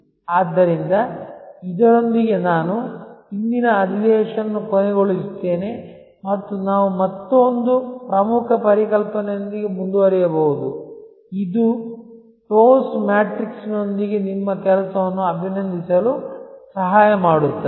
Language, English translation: Kannada, So, with this I will end today's session and we can continue with another important concept, which will help you to compliment your work with the TOWS matrix